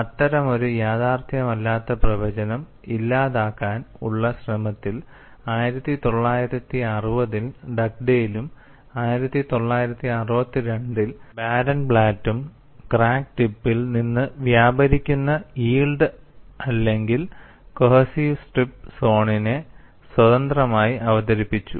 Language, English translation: Malayalam, In an effort to eliminate such an unrealistic prediction, Dugdale in 1960 and Barenblatt 1962 independently introduced yielded or cohesive strip zones extending from the crack tip